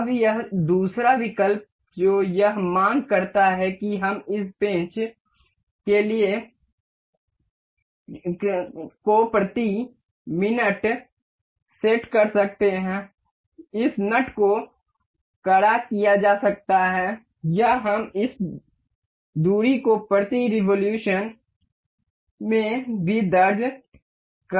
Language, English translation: Hindi, Now, this other option that it demands is we can set the revolution per minute for this screw this nut to be tightened or also we can enter this distance per revolution